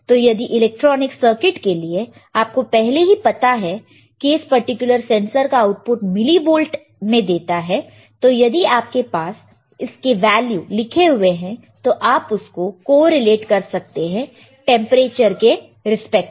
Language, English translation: Hindi, So, if your if your electronic circuits already know that the millivolt obtained at the output of this particular sensor, and you have the values you can correlate it with respect to temperature